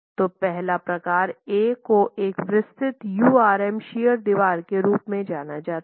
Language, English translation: Hindi, So, the first type, type A is referred to as a detailed URM shear wall